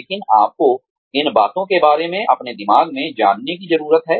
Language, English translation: Hindi, But, you do need to know, about these things, in your mind